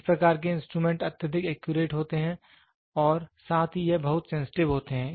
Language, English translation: Hindi, These types of instruments are highly accurate and also it is very sensitive